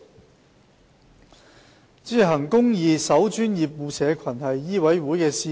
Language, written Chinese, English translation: Cantonese, 代理主席，"行公義、守專業、護社群"是醫委會的使命。, Deputy President ensuring justice maintaining professionalism and protecting the public are the missions of MCHK